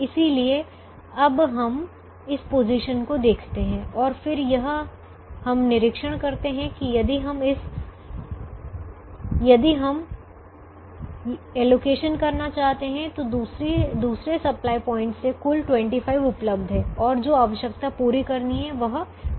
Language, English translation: Hindi, so now we look at this position and then we observe that if we want to make an allocation, the of total available from the second supply point is twenty five, that the requirement that has to be met is twenty